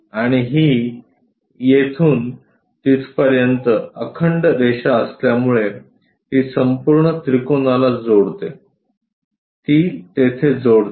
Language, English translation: Marathi, And because it is a continuous line here to there it connects the entire triangle, it connects there